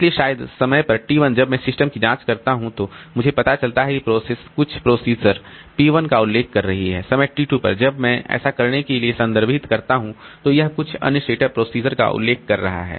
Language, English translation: Hindi, So, maybe at time T1 when I probe the system, I find that the process is referring to some procedure P1 at time T2 when I refer to so it is referring to some other set of procedures